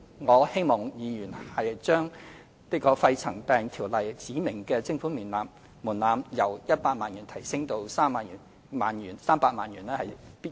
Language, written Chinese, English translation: Cantonese, 我希望議員支持，將《條例》指明的徵款門檻由100萬元提高至300萬元。, I hope that Members will support raising the levy threshold specified in PMCO from 1 million to 3 million